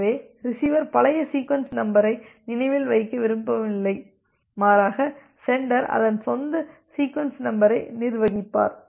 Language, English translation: Tamil, So, the receiver does not want to remember the old sequence number rather the sender will manage its own sequence number